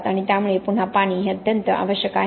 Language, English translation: Marathi, So again water is absolutely essential